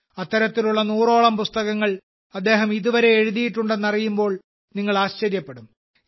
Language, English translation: Malayalam, You will be surprised to know that till now he has written around a 100 such books